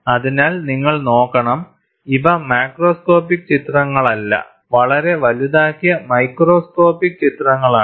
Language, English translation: Malayalam, So, you have to look at, these are not macroscopic pictures; highly magnified microscopic pictures